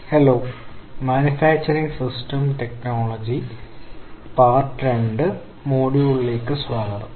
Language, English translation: Malayalam, Hello and welcome to this Manufacturing Systems Technology Part two – module 3